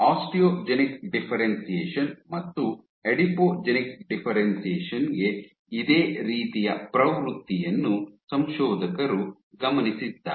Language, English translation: Kannada, You observe the authors observed a similar trend osteogenic differentiation Adipogenic differentiation